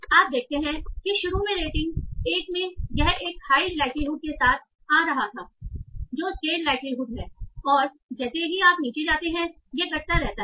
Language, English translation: Hindi, So you see that initially in rating 1 it was occurring with a high likelihood, skill likelihood and as you go down it keeps on decaying